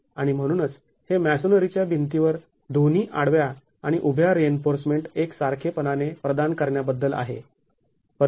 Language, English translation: Marathi, And therefore it's about providing both horizontal and vertical reinforcement uniformly in the masonry wall